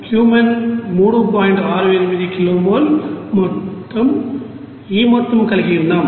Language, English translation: Telugu, 68 you know kilo mole, total this amount